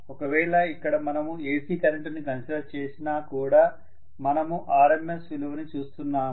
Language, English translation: Telugu, Here even if we consider AC current we are looking at the RMS value